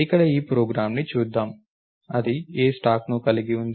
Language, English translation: Telugu, So, let us look at this program over here, it is have a stack 'a'